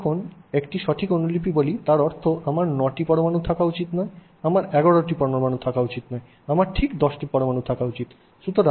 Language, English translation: Bengali, When I say an exact copy, it means I should not have 9 atoms, I should not have 11 atoms